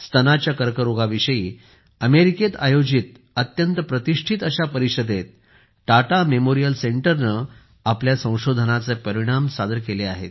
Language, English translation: Marathi, Tata Memorial Center has presented the results of its research in the very prestigious Breast cancer conference held in America